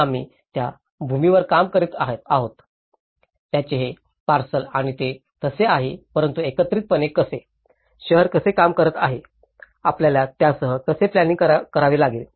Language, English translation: Marathi, this parcel of land we are dealing with this and that’s it so but how about in a collectively, how a city is working, how we have to plan with it